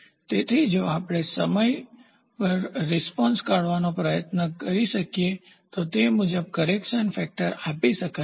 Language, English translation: Gujarati, So, if we can try to figure out the response over a period of time then accordingly the correction factor can be given